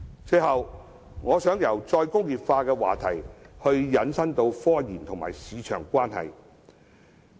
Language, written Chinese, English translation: Cantonese, 最後，我想由再工業化的話題引申至科研與市場的關係。, Lastly from the topic of re - industrialization I wish to talk about the relationship between scientific research and the market